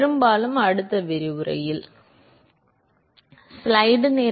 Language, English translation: Tamil, Mostly in the next lecture, alright